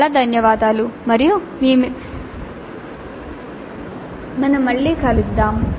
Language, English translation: Telugu, Thank you very much and we will meet you again